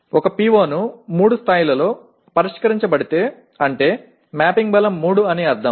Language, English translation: Telugu, That is if a PO is to be addressed at the level of 3 that means mapping strength is 3